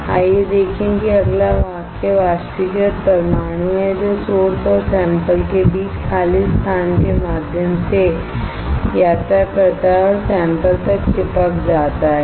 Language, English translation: Hindi, Let us see the next sentence next sentence is evaporated atoms travel through the evacuated space between the source and the sample and stick to the sample, right